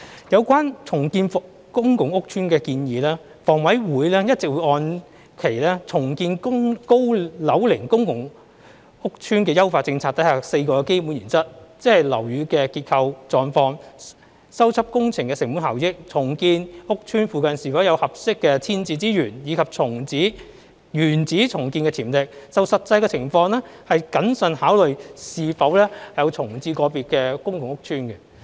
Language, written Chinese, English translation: Cantonese, 有關重建公共屋邨的建議，房委會一直按其"重建高樓齡公共租住屋邨的優化政策"下的4個基本原則，即樓宇的結構狀況、修葺工程的成本效益、重建屋邨附近是否有合適的遷置資源，以及原址重建的潛力，就實際情況謹慎考慮是否重建個別公共屋邨。, Concerning the proposal of redeveloping public housing estates HA has all along based on the four basic principles under the Refined Policy on Redevelopment of Aged Public Rental Housing Estates namely structural conditions of buildings cost - effectiveness of repair works availability of suitable rehousing resources in the vicinity of the estates to be redeveloped and build - back potential upon redevelopment to prudently consider the redevelopment of individual public housing estates in the light of the actual circumstances